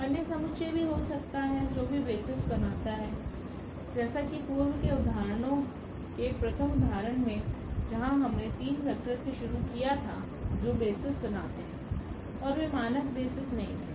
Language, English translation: Hindi, There can be other set which can also form the basis like in the example of the first example which we started with we had those 3 vectors which form the basis and they were not the standard basis